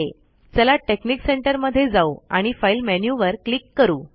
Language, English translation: Marathi, So lets go to texnic center and click the file menu